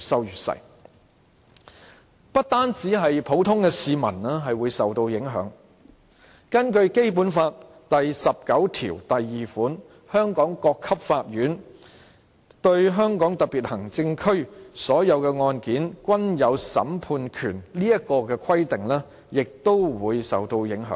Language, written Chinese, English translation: Cantonese, 如果是這樣的話，不單普通市民會受到影響，《基本法》第十九條第二款所訂香港各級法院"對香港特別行政區所有的案件均有審判權"這項規定亦會受到影響。, If such being the case not only the general public will be affected but the provision in Article 192 of the Basic Law which stipulates that the various levels of court in Hong Kong shall have jurisdiction over all cases in the Hong Kong Special Administrative Region will also be affected